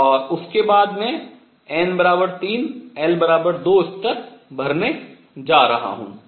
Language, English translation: Hindi, And after that I am going to fill n equals 3 l equals 2 level